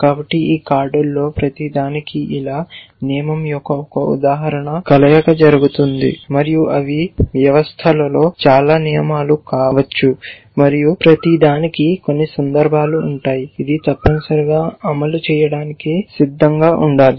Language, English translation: Telugu, So, like this for each of this cards, 1 instance of the rule will fire and they may be of course many rules in the system and each will have some instances, it should ready to fire essentially